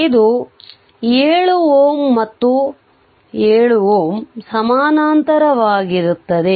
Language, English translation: Kannada, This is your 7 ohm and this 7 ohm 7 ohm are in parallel